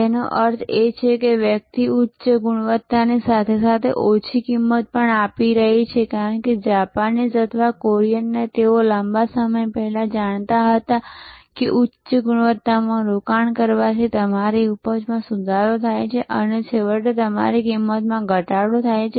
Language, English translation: Gujarati, Which means, a person is giving high quality as well as low cost, because the Japanese or the Koreans they found long time back that investing in high quality improves your yield ultimately brings down your cost